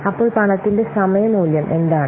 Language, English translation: Malayalam, So, what is the time value of the money